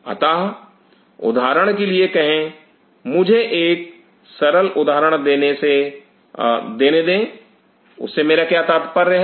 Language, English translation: Hindi, So, say for example, one simple example let me give you, what I mean by that